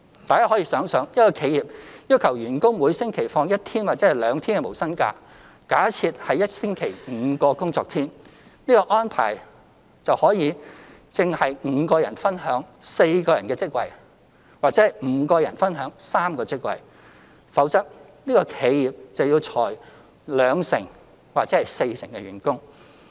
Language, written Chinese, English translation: Cantonese, 大家可以想想，一間企業要求員工每星期放一天或兩天無薪假，假設是一星期5天工作，這個安排正是5人分享4個職位或5人分享3個職位，否則這企業便要裁減兩成或四成員工。, Think about this If an enterprise asks its employees to take one or two days of no pay leave per week and assuming the employees work five days a week such an arrangement is tantamount to five employees sharing four posts or five employees sharing three posts or else this enterprise will have to lay off 20 % or 40 % of its employees